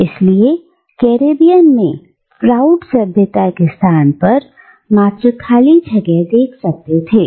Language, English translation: Hindi, Therefore, in the Caribbean, Froude could see only an empty space of civilizational nothingness